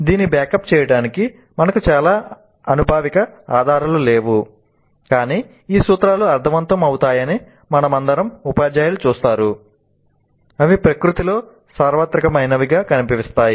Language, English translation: Telugu, We do not have too much of empirical evidence to back it up but intuitively all of us teachers would see that these principles make sense